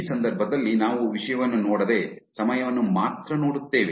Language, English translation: Kannada, In this case, we are only looking at the time we are not looking at the content